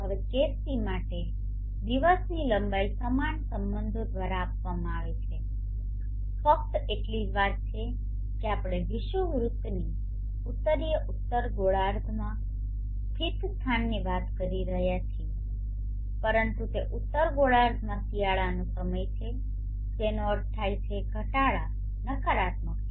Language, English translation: Gujarati, Now for case c, the length of the day is given by a similar relationship only thing is that we are talking of a place located in the northern hemisphere, north of the Equator but it is winter time in the northern hemisphere which means the declination is negative